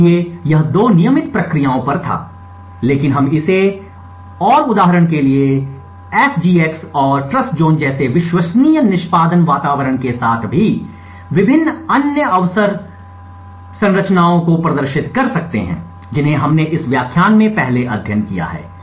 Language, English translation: Hindi, So, this was on 2 regular processes, but we could also demonstrate this and various other infrastructures for example even with the trusted execution environment such as the SGX and Trustzone that we have studied earlier in this lecture